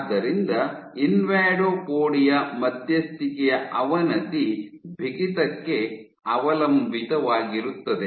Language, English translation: Kannada, So, invadopodia mediated degradation was stiffness dependent